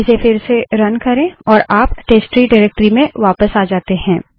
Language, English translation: Hindi, Run it again and it will take us back to the testtree directory